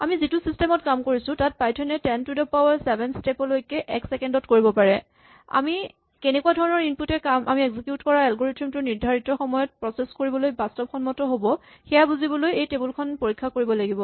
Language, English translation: Assamese, This gives us an idea that given that our system that we are working which Python can do about 10 to the 7 steps in a second, we need to really examine this table to understand what kind of inputs will be realistic to process given the time type of algorithm that we are executing